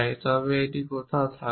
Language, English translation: Bengali, 1 it will be somewhere here around